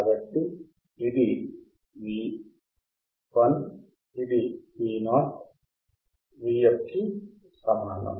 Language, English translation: Telugu, So, this is V I, this is V o equals to V f